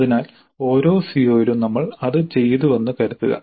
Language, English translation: Malayalam, So, assume that we have done that for every CO